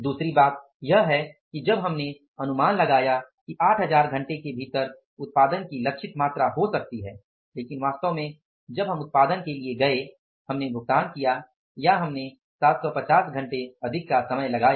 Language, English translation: Hindi, Second thing is when we estimated that within 8,000 hours, the targeted amount of the production can be had but actually when we went for the production we misspaid or we spent more 750 hours